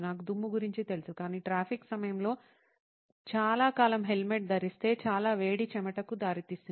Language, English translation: Telugu, I knew about the dust, but the heat of wearing the helmet for a long time during traffic actually leads to a lot of sweating